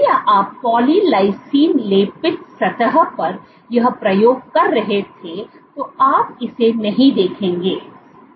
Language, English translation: Hindi, If you were to do the same experiment on a poly lysine coated surface you would not see it